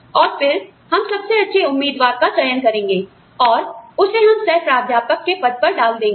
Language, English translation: Hindi, And then, we will choose the best candidate, and put them, put her or him, in the position of associate professor